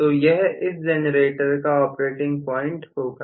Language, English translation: Hindi, So, this will be the operating point of the generator